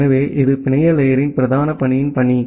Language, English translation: Tamil, So, that is the task of the prime task of the network layer